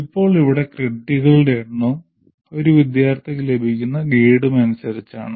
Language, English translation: Malayalam, Here they are characterized by the number of credits and the grade that a student gets